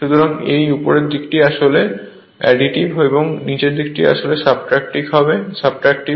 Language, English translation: Bengali, So, this upper side it is actually additive, and the lower side it is subtractive